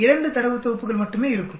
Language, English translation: Tamil, 2 data sets will be there only